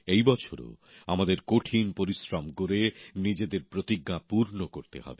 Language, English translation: Bengali, This year too, we have to work hard to attain our resolves